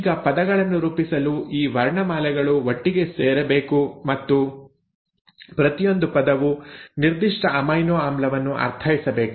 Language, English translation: Kannada, Now these alphabets have to come together to form words and each word should mean a particular amino acid